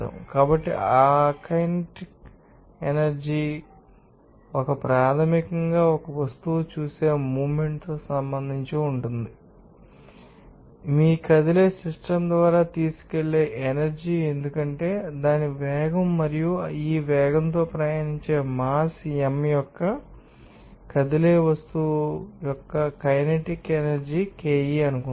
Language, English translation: Telugu, So, what is that kinetic energy, this is basically associate with an object saw motion and it is the energy that is carried by your moving system because of its velocity and the kinetic energy of a moving object of mass m traveling with this speed suppose KE can be you know defined as (1/2)mv2